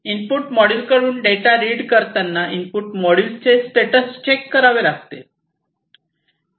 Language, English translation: Marathi, Then you have reading the data from the input module, the input module and checking the input status